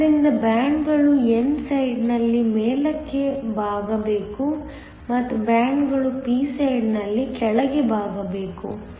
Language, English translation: Kannada, So, the bands have to bend up on the n side and the bands have to bend down on the p side